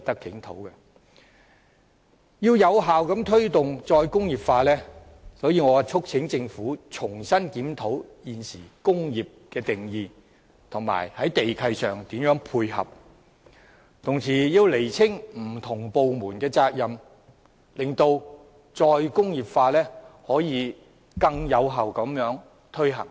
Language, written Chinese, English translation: Cantonese, 要有效推動"再工業化"，我促請政府重新檢討現行的"工業"定義，並在地契上作出配合，同時亦要釐清不同部門的責任，使"再工業化"可以更有效地推行。, In order to promote re - industrialization effectively I urge the Government to review afresh the current definition of industry make complementary arrangements in respect of land leases and clarify the responsibilities of different departments . The implementation of re - industrialization can then be more effective